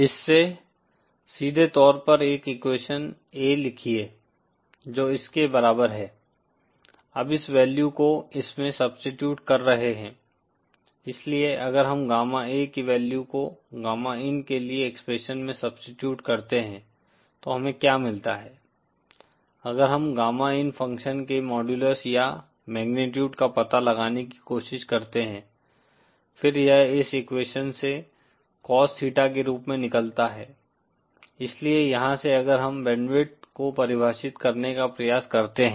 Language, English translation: Hindi, From this straight away write down an equation a is equal to this, now substituting this value in the, so then if we substitute the value of gamma A in the expression for gamma in, what we get is, if we try to find out the modulus or the magnitude of this function gamma in, then that comes out from this equation as Cos theta, so from here if we try to define the band width